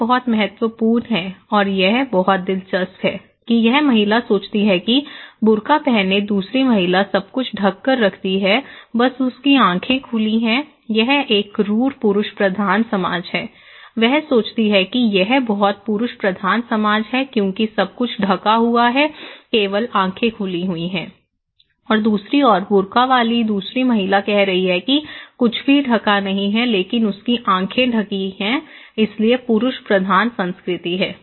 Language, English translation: Hindi, Well, this is very important and this is very interesting that this lady thinks that other lady wearing a burka is everything covered but her eyes are what a cruel male dominated society okay she thinks that itís a very male dominated society because everything is covered only eyes are open, on the other hand, that other lady with burka is saying that nothing covered but her eyes are open so, what a male dominated society